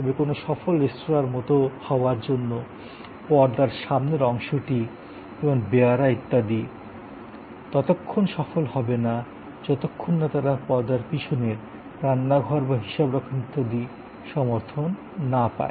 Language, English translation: Bengali, But, to be successful like in a restaurant, the front may be the servers, the stewards, but that front will not be successful unless it is well supported by the back, which is the kitchen or the accounting and so on